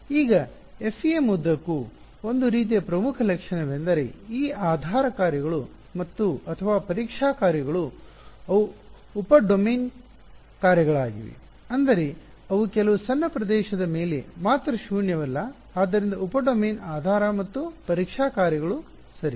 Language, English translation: Kannada, Now, throughout FEM one of the sort of key features is that these basis functions or testing functions they are sub domain functions; means, they are non zero only over some small region so, sub domain basis and testing functions ok